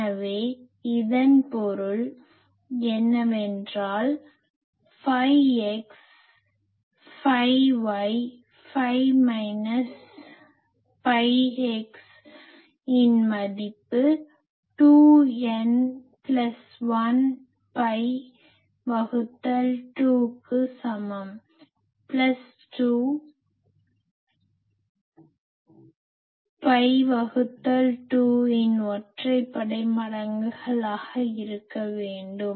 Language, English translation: Tamil, So, that means this means I want phi x phi y minus phi x is equal to 2 n plus 1 pi by 2, plus 2 n odd multiples of pi by 2